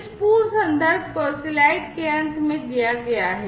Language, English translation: Hindi, the corresponding complete reference is given at the end of the slides